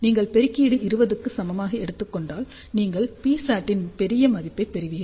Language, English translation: Tamil, Of course, if you take gain equal to 20, you will get a larger value of P oscillator